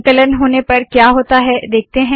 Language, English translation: Hindi, Lets see what happens when I compile it